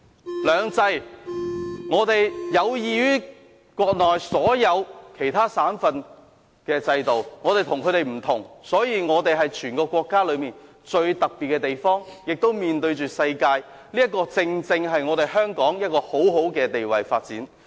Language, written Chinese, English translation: Cantonese, 在"兩制"方面，我們的制度有異於國內所有其他省份的制度，所以香港是全國最特別的地方，同時亦面向世界，這正正讓香港處於很好的發展位置。, Thanks to two systems our system is different from that of all other provinces of the country . Hong Kong is thus the most special place in the entire country . This coupled with the fact that Hong Kong is a city facing the world has put Hong Kong in an excellent position for development